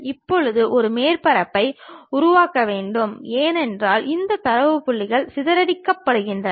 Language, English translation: Tamil, Now, one has to construct a surface, because these data points are scattered